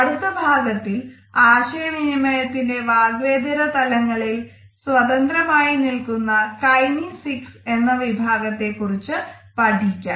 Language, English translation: Malayalam, In our next module we would look at kinesics as an independent part of nonverbal aspects of communication